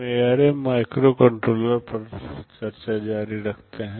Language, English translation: Hindi, We continue the discussion on ARM microcontrollers